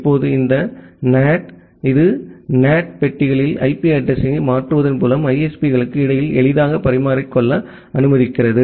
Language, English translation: Tamil, Now, this NAT it allows a easy interchange between the ISPs by changing the IP address in the NAT boxes